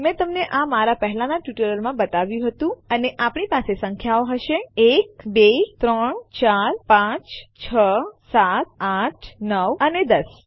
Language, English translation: Gujarati, We now have to create these Ive shown you this in my earlier tutorials and well have the numbers 1 2 3 4 5 6 7 8 9 and 10 Ok